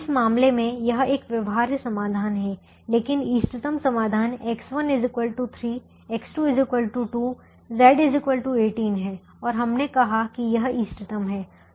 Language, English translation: Hindi, but the optimum solution is x one equal to three, x two equal to two, z equal to eighteen, and we said it is optimum